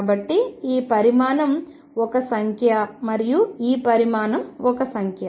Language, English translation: Telugu, So, this quantity is a number and this quantity is a number